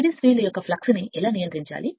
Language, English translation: Telugu, How to control the fact of series field